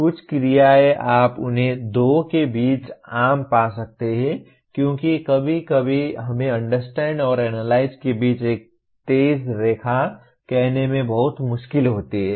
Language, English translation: Hindi, Some action verbs you may find them common between two because sometimes it is very difficult to draw a let us say a sharp line between Understand and Analyze